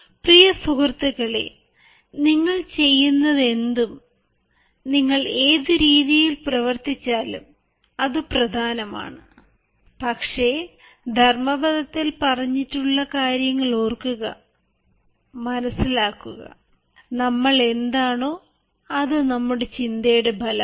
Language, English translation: Malayalam, dear friends, whatever you do, whatever way you act, it is but important that we remember and realize what has been said in dhammapada: all that we are is the result of what we have thought